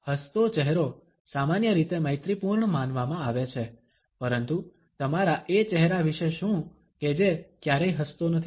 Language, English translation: Gujarati, ‘A face that smiles’ is normally considered to be friendly, but what about your face which never smiles